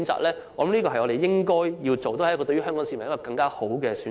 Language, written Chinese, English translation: Cantonese, 我覺得這是我們應該做的，對香港市民亦是一個更好的選擇。, I think this is something we should do and is also a good choice for Hong Kong people